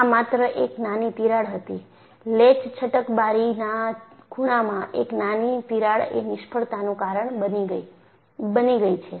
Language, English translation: Gujarati, It was only a small crack; a small crack in the corner of an escape latch window has caused the failure